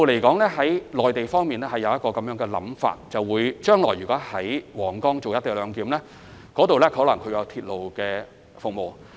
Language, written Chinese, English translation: Cantonese, 鐵路方面，內地的構思是，將來若在皇崗口岸採用"一地兩檢"安排，屆時可能會提供鐵路服務。, In this regard the view of the Mainland is that railway services can possibly be provided if co - location arrangements are to be implemented at the Huanggang Port